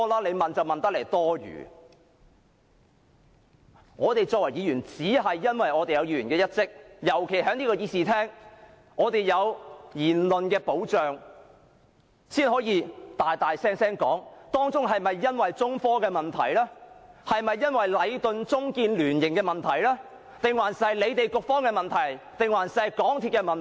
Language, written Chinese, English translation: Cantonese, 我們身為議員，應履行議員的職責，尤其在這個議事廳內，我們有言論保障，才可大聲地問：是中科的問題，還是禮頓―中建聯營的問題，又或是局方的問題或港鐵公司的問題？, As Members of the Legislative Council we should perform our duties . In particular as our speeches made in this Chamber are protected we can boldly ask Is the problem caused by China Technology Corporation Limited; is the problem caused by Leighton - China State Joint VentureLeighton the Transport and Housing Bureau or MTRCL?